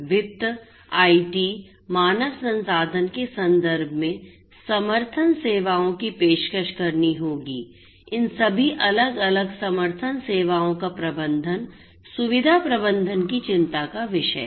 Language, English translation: Hindi, of finance, IT, human resources, management of all of these different support services is also of concern of facility management